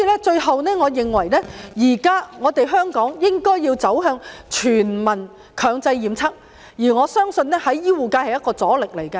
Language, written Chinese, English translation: Cantonese, 最後，我認為現在香港應該走向全民強制檢測，而我相信醫護界會是一個阻力。, In closing I think Hong Kong should now proceed to implement compulsory universal testing and I believe that the healthcare sector will mount resistance